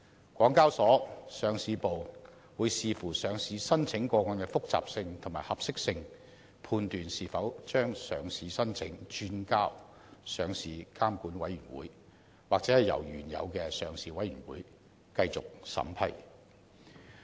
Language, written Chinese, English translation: Cantonese, 香港交易及結算所有限公司上市部會視乎上市申請個案的複雜性和合適性，判斷是否把上市申請轉交上市監管委員會，或由原有的上市委員會繼續審批。, The Listing Department of the Hong Kong Exchanges and Clearing Limited HKEx will subject to the complexity and suitability of listing applications decide whether a listing application should be referred to the Listing Regulatory Committee or if it should be vetted and approved by the Listing Committee in accordance with the usual procedures